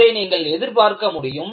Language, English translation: Tamil, This is what you can anticipate